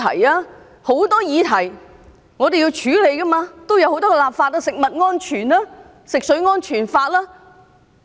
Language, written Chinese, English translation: Cantonese, 有很多議題我們都需要處理和立法，包括食物安全和食水安全法等。, There are so many issues that we need to deal with and to enact legislation on for example food and drinking water safety